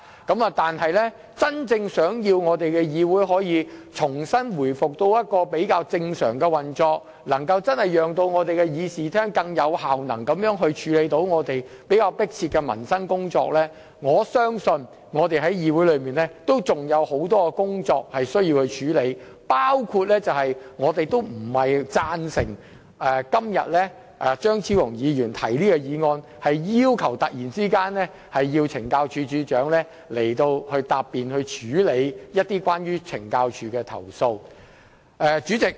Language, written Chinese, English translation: Cantonese, 若要議會真正回復較正常的運作，以便真正在議事廳內更有效能地處理較迫切的民生工作，相信我們在議會內仍有很多事情需要處理，包括不贊成張超雄議員今天突然提出，要求懲教署署長前來答辯及處理有關懲教署的投訴的議案。, If we want this Council to genuinely resume relatively normal operation so that we can truly handle more urgent issues related to the peoples livelihood in this Chamber in a more effective and efficient manner I think there will still be a lot of things for us to do here including voting against the motion moved suddenly by Dr Fernando CHEUNG today to summon the Commissioner of Correctional Services to attend before the Council to testify and follow up on complaints against CSD